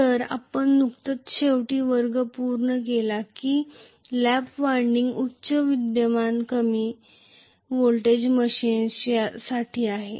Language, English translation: Marathi, So we just completed the last class saying that lap winding is meant for high current low voltage machine